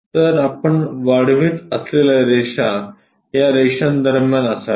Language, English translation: Marathi, So, the lines you extend it is supposed to be in between these lines